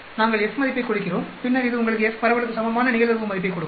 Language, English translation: Tamil, We give the F value and then this will give you the probability value equivalent to f dist, so it gives you 0